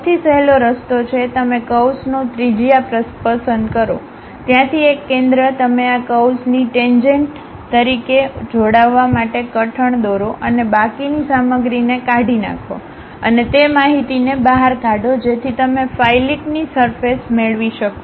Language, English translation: Gujarati, The easiest way is, you pick a radius of curvature, a center from there you draw a knock to join as a tangent to these curves and remove the remaining material and extrude that information so that, you get a fillet surface